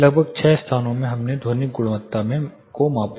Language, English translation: Hindi, In about 6 locations we measured in the acoustical quality